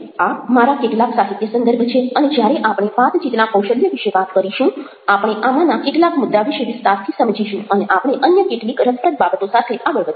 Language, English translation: Gujarati, these are some of my references, and when we talk about, ah, conversation skills will elaborate on some of these points and we will proceed forward with some other interesting things